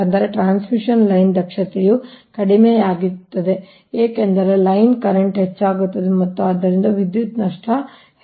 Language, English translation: Kannada, that means transmission line efficiency will be poor because line current will increase and therefore power loss will increase